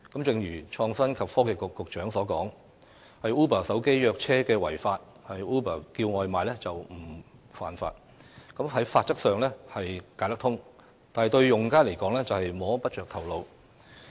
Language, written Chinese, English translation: Cantonese, 正如創新及科技局局長所說 ，Uber 手機約車違法，而 Uber 叫外賣則不屬犯法，法規上解得通，但對用家來說卻摸不着頭腦。, As the Secretary for Innovation and Technology once said Ubers smartphone - based ride - hailing service is illegal but Ubers food delivery service is not . While this is legally explicable this is something that users cannot make head or tail of